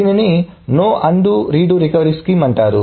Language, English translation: Telugu, So this is called no undo or redo recovery scheme